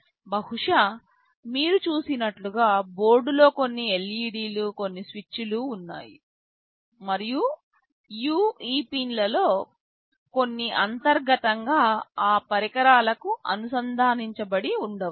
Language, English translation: Telugu, Maybe you have seen in the board there are some LEDs, some switches, so many things are there maybe some of these pins are internally connected to those devices